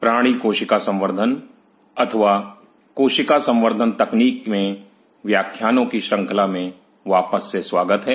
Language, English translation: Hindi, Welcome back to the lecture series in animal cell culture or cell culture technologies